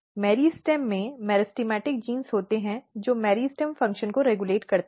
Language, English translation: Hindi, So, in the meristem you know the meristematic genes are there which regulate the meristem function